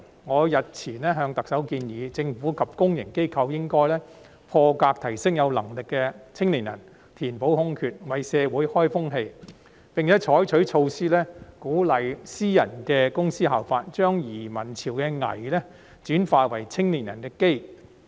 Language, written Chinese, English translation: Cantonese, 我日前向特首建議，政府及公營機構應破格提升有能力的青年人填補空缺，為社會開風氣，並採取措施鼓勵私人公司效法，將移民潮的"危"轉化為青年人的"機"。, I then proposed to the Chief Executive the other day that the Government and public organizations should set a new trend in society by breaking the conventions to promote capable young people to fill the vacancies and it should adopt measures to encourage companies in the private sector to follow suit so as to turn the crisis arising from the wave of emigration into an opportunity for young people